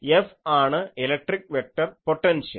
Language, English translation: Malayalam, So, this is the electric vector potential